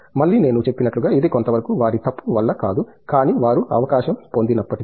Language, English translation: Telugu, Again, as I said it’s partly not due to their fault, but they even if they get a chance